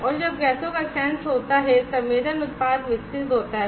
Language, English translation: Hindi, And when the gases senses, the sensing product develops, and you are driving get out